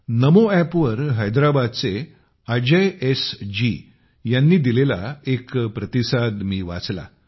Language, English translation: Marathi, I read a comment by Ajay SG from Hyderabad on the NaMo app